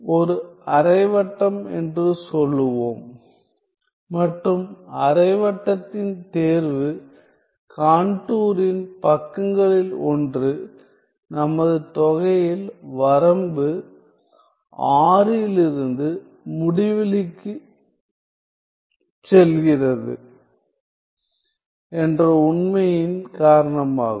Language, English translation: Tamil, So, let us draw us let us say a semi circle and the choice of the semi circle is due to the fact that one of the sides of this contour is our integral from in the limit R tending to infinity